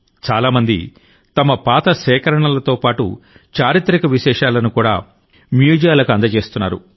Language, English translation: Telugu, Many people are donating their old collections, as well as historical artefacts, to museums